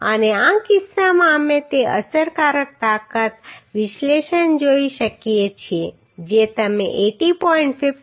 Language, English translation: Gujarati, And in this case we could see that effective strength analysis you know 80